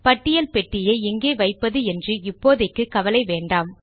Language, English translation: Tamil, Do not worry about the placement of the list box now